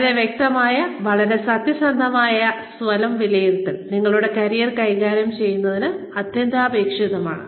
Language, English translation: Malayalam, A very clear, very honest, assessment of one's own self is, absolutely essential to, managing one's career